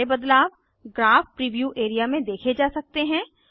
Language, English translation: Hindi, All changes can be seen in the Graph preview area